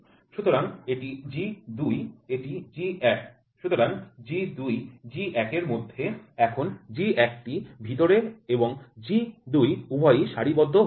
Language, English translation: Bengali, So, G 2, G 1 now G 1 is inside and G 2 both are aligned